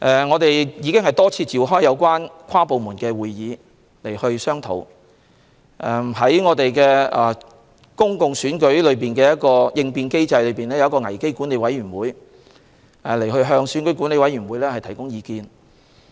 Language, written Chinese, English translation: Cantonese, 我們已多次召開跨部門會議進行商討，而在公共選舉應變機制下成立的危機管理委員會，會向選管會提供意見。, We have held several inter - departmental meetings and a Crisis Management Committee has been set up under the contingency mechanism for public elections to provide advice to EAC